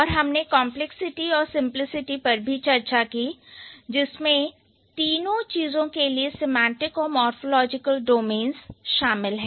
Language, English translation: Hindi, And we have seen the complexity and the simplicity that involves the semantic and the morphological domains for all the three things